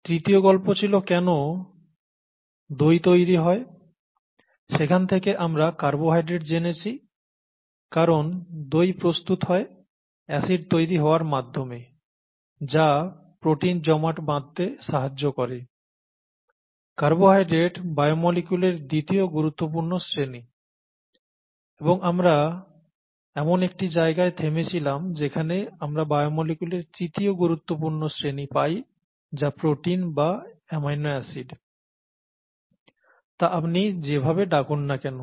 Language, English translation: Bengali, The third story is why curd gets formed which led us to carbohydrates because curd gets formed by acid formation that leads to protein aggregation, what carbohydrates were the second major class of biomolecules and we stopped at the point where we reached the third major class of biomolecules which happens to be proteins, proteins or amino acids as you call it